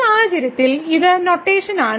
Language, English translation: Malayalam, So, in this case this is the notation